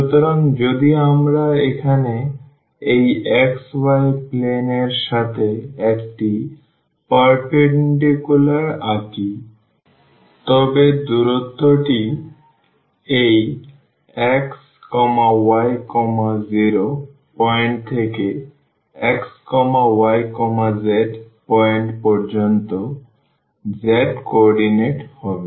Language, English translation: Bengali, So, if we draw a perpendicular here to this xy plane then this distance is the z co ordinate from this xy 0 point to this x y z point